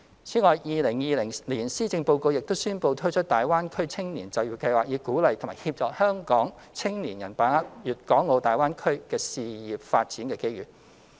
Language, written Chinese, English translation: Cantonese, 此外 ，2020 年施政報告亦宣布推出大灣區青年就業計劃，以鼓勵及協助香港青年把握粵港澳大灣區的事業發展機遇。, In addition the 2020 Policy Address also announced the launch of the Greater Bay Area Youth Employment Scheme to encourage and assist Hong Kong young people to seize the career development opportunities in the Guangdong - Hong Kong - Macao Greater Bay Area